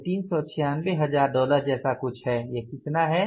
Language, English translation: Hindi, This is something like $396,000, $396,000